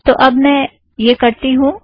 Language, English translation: Hindi, So let me do that